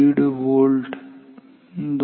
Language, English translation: Marathi, 5 volt 2